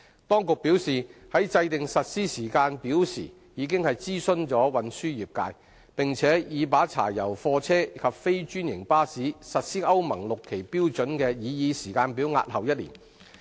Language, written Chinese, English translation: Cantonese, 當局表示，在制訂實施時間表時，已諮詢運輸業界，並已把柴油貨車及非專營巴士實施歐盟 VI 期標準的擬議時間表押後1年。, The Administration has advised that it has consulted the transport trades when drawing up the implementation schedule and deferred the proposed implementation schedule of Euro VI emission standards for diesel goods vehicles and non - franchised buses by one year